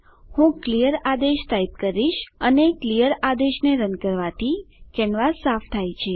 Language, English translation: Gujarati, Let me type clear command and run clear command cleans the canvas